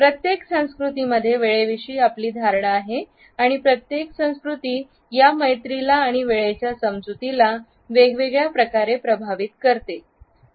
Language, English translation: Marathi, Every culture has his own perception of time every culture of his friendship and a perception of time in a separate light